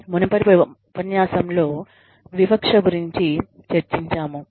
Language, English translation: Telugu, We discussed discrimination, in a previous lecture